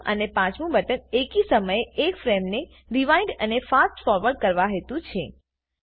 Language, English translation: Gujarati, The fourth and fifth buttons are to Rewind and Fast Forward one frame at a time